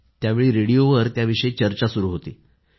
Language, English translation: Marathi, Indeed, that exactly was the topic of discussion on the radio